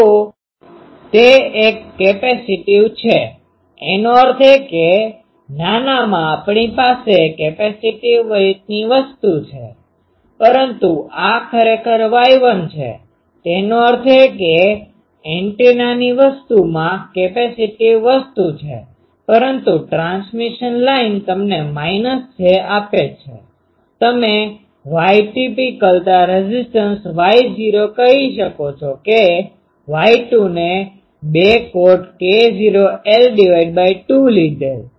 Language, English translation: Gujarati, So, it is a capacitive; that means, smaller ones we have a capacitive way thing but this is actually Y 1; that means, antennas thing it has a capacitive thing but the transmission line that is giving you minus j, you can say Y characteristic impedance Y not that am taking Y 2 by 2 cot k not l by 2